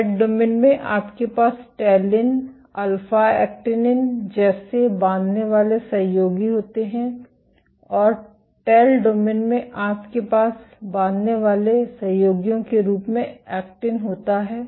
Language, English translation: Hindi, In the head domain you have binding partners like talin, alpha actinin and in the tail domain you have actin as one of the binding partners